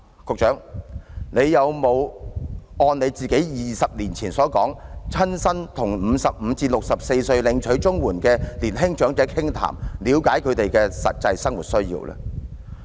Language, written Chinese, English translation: Cantonese, 局長有否按自己20年前所說，親身與55歲至64歲領取綜援的年輕長者傾談，了解他們的實際生活需要？, Has the Secretary done what he said 20 years ago that is going to chat with the young elderly recipients of CSSA aged between 55 and 64 in person to understand their actual needs in their daily life?